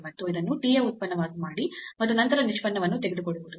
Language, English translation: Kannada, And, then making this as a function of t and then taking the derivative